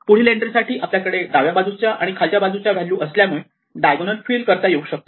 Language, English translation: Marathi, Now at this entry, I have values to the left and below, so I can fill up this diagonal